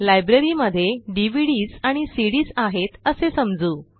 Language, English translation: Marathi, For this, let us assume that our Library has DVDs and CDs